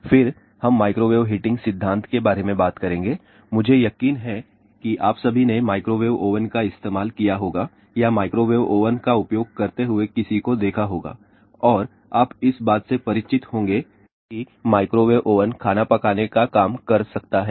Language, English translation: Hindi, Then, we will talk about microwave heating principle I am sure all of you might have use microwave oven or seen somebody using microwave oven and you are familiar with that microwave oven can do the cooking